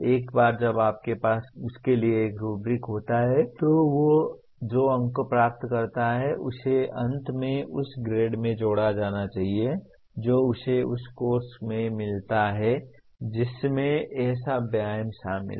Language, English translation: Hindi, Once you have a rubric for that the marks that he gain should finally get added to the grade that he gets in that course in which such an exercise is included